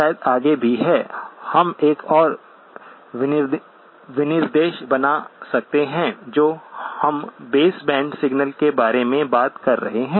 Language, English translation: Hindi, And maybe there is even a further, we can make a further specification that we are talking about base band signals